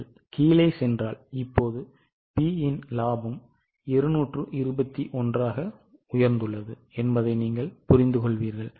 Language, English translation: Tamil, If you go down, you will realize that now the profit of P has gone to 221, but profit of Q has increased substantially it is 191